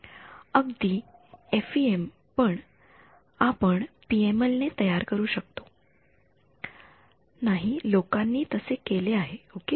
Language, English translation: Marathi, Even FEM we can implement PML and people have done so ok